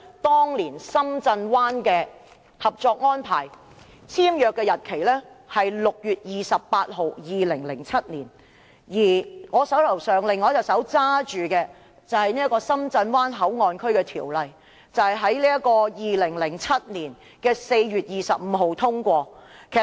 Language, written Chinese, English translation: Cantonese, 當年深圳灣的合作安排，簽約日期是2007年6月28日，而《深圳灣口岸港方口岸區條例草案》是在2007年4月25日通過的。, The cooperation arrangement concerning the Shenzhen Bay Port was signed on 28 June 2007 and the Shenzhen Bay Port Hong Kong Port Area Bill was passed on 25 April 2007